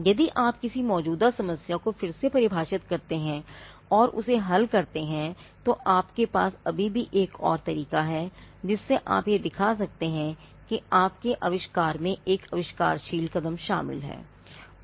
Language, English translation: Hindi, If you redefine an existing problem and solve it; that is yet another yet another way to show that your invention involves an inventive step